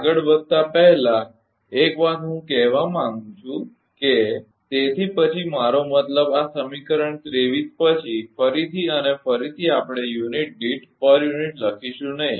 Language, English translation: Gujarati, One thing ah before proceeding further I would like to tell that hence onwards I mean after this equation 23 again and again we will not write per unit p u